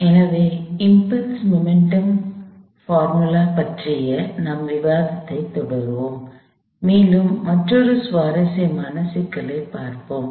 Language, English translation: Tamil, So, we will continue or discussion of impulse momentum formulations and we will take on another interesting problem